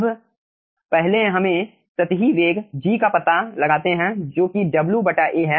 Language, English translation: Hindi, right now, first let us find out the superficial velocity, g, which is w by a